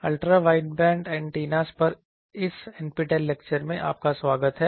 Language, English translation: Hindi, Welcome to this NPTEL lecture on Ultra Wideband Antennas